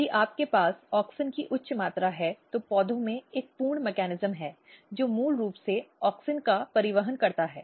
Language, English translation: Hindi, So, if you have high amount of auxin and there is a full mechanism in plants which basically transport auxin